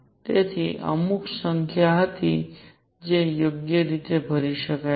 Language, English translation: Gujarati, So, there were certain number that could be filled right